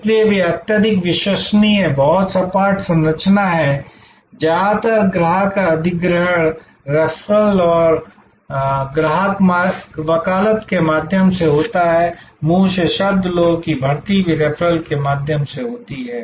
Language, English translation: Hindi, So, they are highly reliable, very flat structure, mostly a customer acquisition is through referrals and customer advocacy, word of mouth, recruitment of people are also through referrals